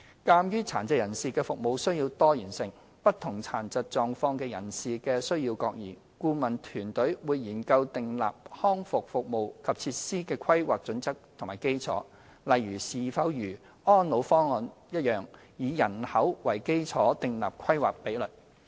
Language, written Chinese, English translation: Cantonese, 鑒於殘疾人士的服務需要多元性，不同殘疾狀況的人士的需要各異，顧問團隊會研究訂立康復服務及設施的規劃準則及基礎，例如是否如《安老方案》般以人口為基礎設立規劃比率。, In view of the diverse service needs of PWDs and the different requirements on services from persons with different disabilities the Consulting Team will examine the parameters and basis for the planning of rehabilitation services and facilities . For instance whether a population - based planning ratio should be set as in the case of ESPP